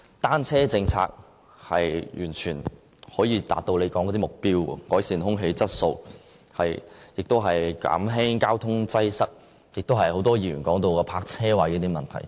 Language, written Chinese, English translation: Cantonese, 單車政策完全可以達到政府所說的目標：改善空氣質素、減輕交通擠塞，以及很多議員提到的泊車位問題。, The adoption of the bicycle - friendly policy indeed enables the Government to fully meet its objectives of improving the air quality and alleviating traffic congestion . It can also help resolve the problem of the lack of parking spaces raised by many Members